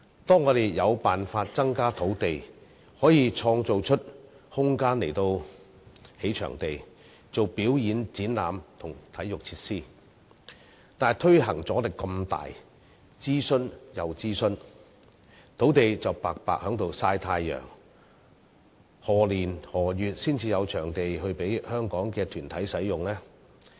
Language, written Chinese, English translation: Cantonese, 當我們有辦法增加土地，可以創造空間來興建場地、舉辦表演、展覽和體育設施時，卻又遇上巨大的推行阻力，令我們要諮詢再諮詢，土地白白在閒置"曬太陽"，何年何月才可以提供場地給香港團體使用？, When we meet strong resistance after we have identified some ways to create more land for development or create room for the construction of venues for performances exhibitions and sports facilities so that we have to conduct consultations again while the land sites will be left idle under the sun exactly when can we provide venues for use by the organizations in Hong Kong?